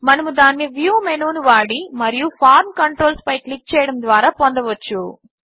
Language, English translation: Telugu, We can bring it up by using the View menu and clicking on the Form Controls